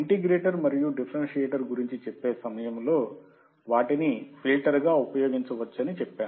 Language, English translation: Telugu, And during the integrator and differentiator I told you that they can be used as a filter